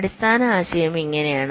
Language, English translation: Malayalam, the basic idea is like this